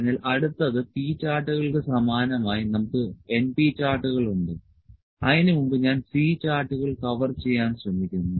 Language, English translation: Malayalam, So, next similar to p charts we have np charts before that I will try to cover the C charts